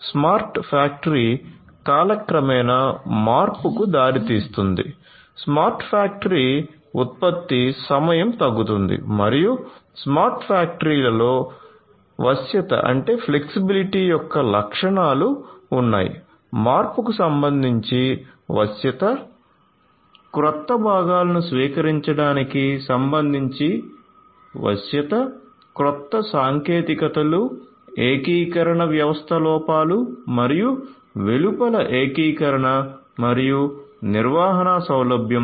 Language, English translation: Telugu, Smart factory results in reduced change over time, smart factory results in reduced production time and also smart factory has the features of flexibility, flexibility with respect to change over, flexibility with respect to adoption of newer components, newer technologies, integration, integration within and beyond the system and also ease of management